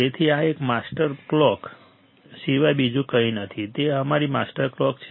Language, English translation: Gujarati, So, this is nothing but a master clock; it is our master clock right